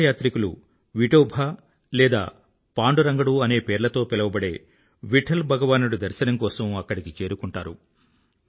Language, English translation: Telugu, Pilgrims go to have a darshan of Vitthal who is also known as Vithoba or Pandurang